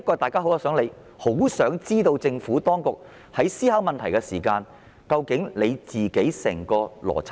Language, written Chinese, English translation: Cantonese, 大家其實很想知道政府當局在思考問題時的整個邏輯。, Members are actually eager to know the Administrations entire line of reasoning when it considers an issue